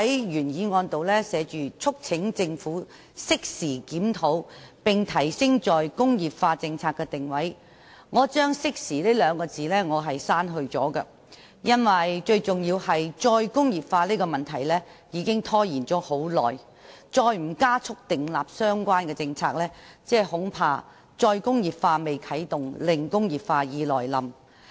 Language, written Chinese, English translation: Cantonese, 原議案提到"促請政府適時檢討並提升'再工業化'政策的定位"，我將"適時"兩字刪去，因為最重要的是"再工業化"這個問題已拖延很久，如再不加快訂立相關政策，恐怕"再工業化"未啟動，"零工業化"已來臨。, The original motion urges the Government to conduct a timely review and elevate the positioning of the re - industrialization policy . I have deleted the word timely because after all the issue of re - industrialization has been dragging on for a long time . I am afraid if we do not expedite the relevant policymaking we will see the arrival of zero industrialization before any re - industrialization can take place